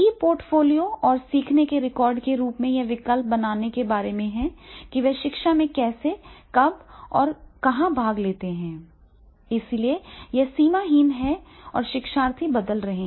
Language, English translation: Hindi, In the form of e portfolios and learning records and to make choices about how, when and where they participate in education, therefore it is the boundary less, it is becoming the boundary less, learners are changing